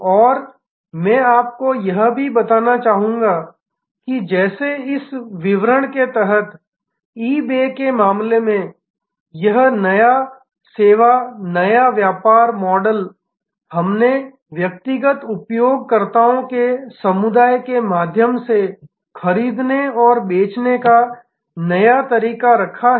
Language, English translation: Hindi, And I would also like you to describe that just like in case of eBay under this description, this new service new business model we have put a new way of buying and selling through a community of individual users